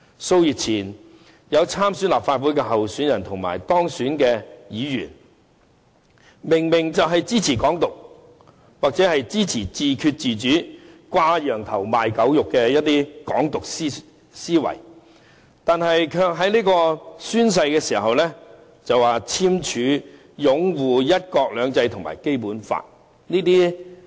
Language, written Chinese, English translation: Cantonese, 數月前，有參選立法會的候選人及當選的議員明明是支持"港獨"或自決自主等"掛羊頭賣狗肉"的"港獨"思維，卻在宣誓時簽署擁護"一國兩制"及《基本法》。, A few months ago some candidates in the Legislative Council Election and Members - elect signed the confirmation forms about upholding one country two systems and the Basic Law when they took their oathsaffirmations despite their prominent position supporting Hong Kong independence or their attempts to camouflage such an idea with self - determination and autonomy and so on